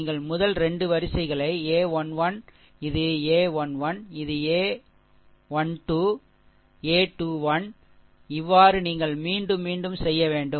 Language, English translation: Tamil, You repeat the first 2 rows a 1 1, this is a 1 1, this is a 1 1, a 1 2, a 1 3, a 2 1, a 2 2, a 2 3 you repeat